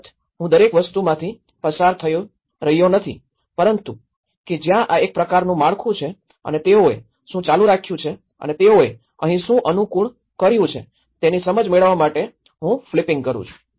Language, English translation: Gujarati, Of course, I am not going through each and everything but I am just flipping through that this is a kind of framework to set up, to get an understanding of what they have continued and what they have adapted here